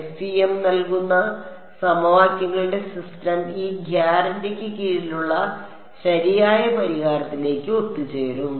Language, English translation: Malayalam, The system of equations that FEM gives will converge to the correct solution under this guarantee I mean under this requirement